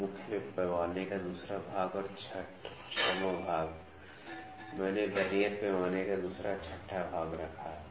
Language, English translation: Hindi, So, second division of the main scale and 6th division I put second 6th division of the Vernier scale